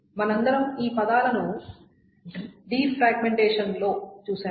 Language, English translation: Telugu, This we all have seen this term somewhere in the defragmentation